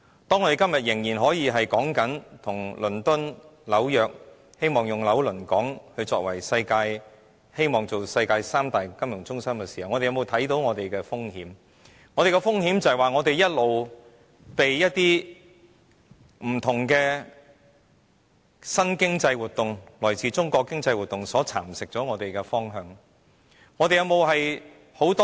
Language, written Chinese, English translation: Cantonese, 當我們今天仍可與倫敦及紐約相提並論，希望成為"紐倫港"，成為世界三大金融中心之一的時候，我們有沒有看到我們面對的風險，就是我們一直被一些不同的新經濟活動——來自中國的經濟活動——左右我們的方向。, While at present we can still compare ourselves with London and New York in the hope of becoming part of Nylonkong and becoming one of the top three financial centres in the world are we aware of the risk facing us? . Our trajectory including our tax regime has all along been under the influence of various new economic activities which come from Mainland China